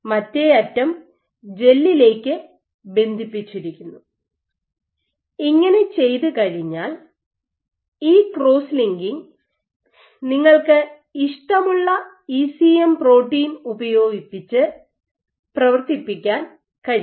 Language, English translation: Malayalam, So, this one end attaches onto the gel and then once you have done this you know this cross linking then on top you can functionalize with your ECM protein of choice